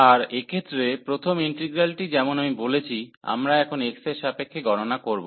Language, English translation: Bengali, And in this case, so here the first integral as I said, we will compute with respect to x now